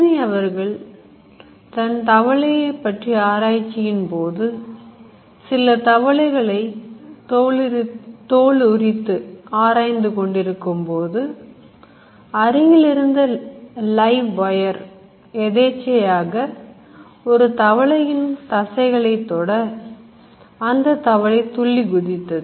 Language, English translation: Tamil, Galvany in an experiment with frogs, he was peeling them and there was a loose wire and that touched the muscles of the frog and the frog jump